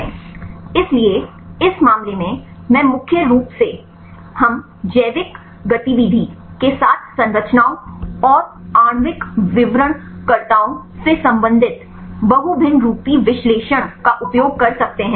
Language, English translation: Hindi, So, in this case mainly we can use the multivariate analysis to relate the structures and the molecular descriptors with the biological activity